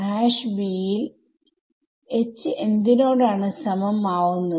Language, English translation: Malayalam, In #b, H is going to be equal to